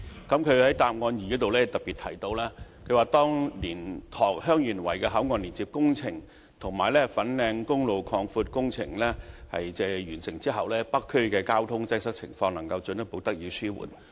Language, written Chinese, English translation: Cantonese, 他在主體答覆第二部分特別指出，當蓮塘/香園圍口岸連接路工程及粉嶺公路擴闊工程完成後，北區的交通擠塞情況能進一步得以紓緩。, In particular he pointed out in part 2 of the main reply that upon completion of both the construction works of connecting road for LiantangHeung Yuen Wai Boundary Control Point and the widening of Fanling Highway the traffic congestion in the North District can be further alleviated